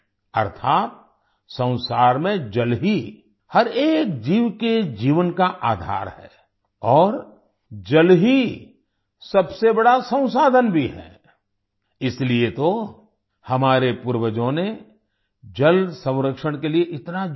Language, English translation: Hindi, That is, in the world, water is the basis of life of every living being and water is also the biggest resource, that is why our ancestors gave so much emphasis on water conservation